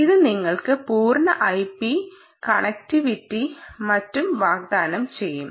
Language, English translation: Malayalam, um, because it will offer you full i p connectivity and so on